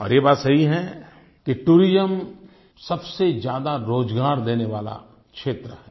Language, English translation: Hindi, Tourism is a sector that provides maximum employment